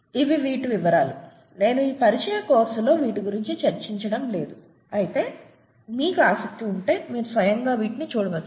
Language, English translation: Telugu, These are details, I don’t want to get into details in this introductory course, however if you’re interested you can get into these by yourself